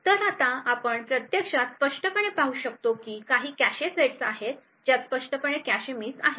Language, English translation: Marathi, So we can actually clearly see that there are some cache sets where clearly cache misses are always observed